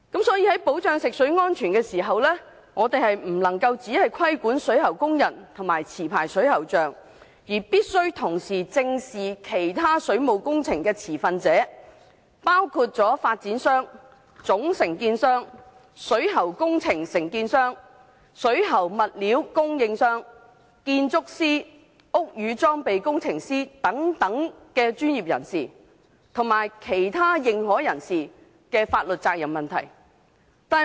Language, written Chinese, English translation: Cantonese, 所以，在保障食水安全的時候不能夠只規管水喉工人及持牌水喉匠，必須同時正視其他水務工程持份者，包括發展商、總承建商、水喉工程承建商、水喉物料供應商、建築師、屋宇裝備工程師等專業人士，以及其他認可人士的法律責任問題。, In other words licensed plumbers and plumbing workers are not the responsible persons for the works . For the sake of ensuring drinking water safety we should not just subject plumbing workers and licensed plumbers to regulation . Instead we should also look into the liabilities of other stakeholders of water works including developers principal contractors contractors of plumbing works suppliers of plumbing materials such professionals as architects and building services engineers as well as other authorized persons